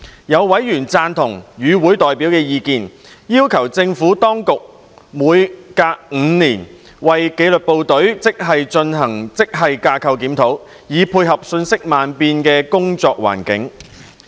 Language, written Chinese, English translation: Cantonese, 有委員贊同與會代表的意見，要求政府當局每隔5年為紀律部隊職系進行職系架構檢討，以配合瞬息萬變的工作環境。, Some Panel members shared the views of the deputations and requested the Administration to conduct a grade structure review for the disciplined services grades once every five years to catch up with the rapidly changing work environment of the disciplined services